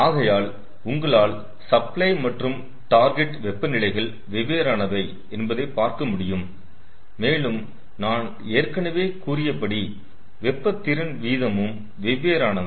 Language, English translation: Tamil, so you can see that the supply and target temperatures are different and already i have told that the ah, um, the heat capacity rate, they they are also different